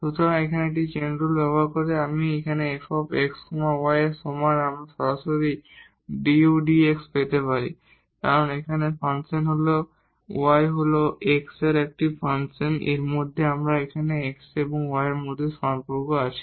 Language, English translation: Bengali, So, using this chain rule here u is equal to f x y we can get the du over dx directly because, here the function y is a function of x out of this we have the relation here between x and y